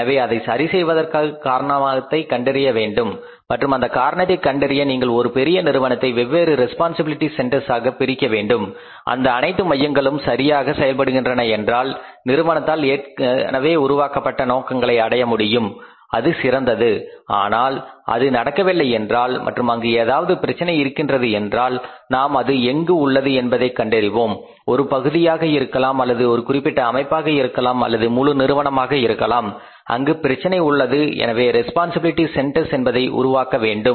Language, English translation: Tamil, So, for rectifying we have to find out the cause and for finding out the cause you have to divide the whole form into the different responsibility centers if all the centers are doing very well and achieving that pre determined objectives of the form then it is fine but if it is not doing and if there is a problem of any kind in that case we will have to find out at which part of the system or maybe the whole of the form there is a problem so we will have to create the centers